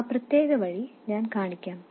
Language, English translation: Malayalam, Let me show that particular alternative